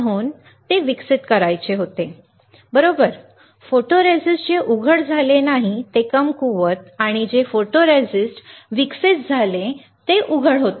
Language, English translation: Marathi, So, I had to develop it, right, photoresist which was not exposed weaker and got developed photoresist that was not exposed